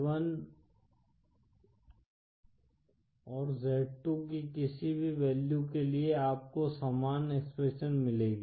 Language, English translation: Hindi, For any values of z1 & z2 you will get the same expression